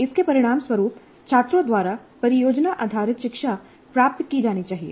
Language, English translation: Hindi, And this should result in product based learning by the students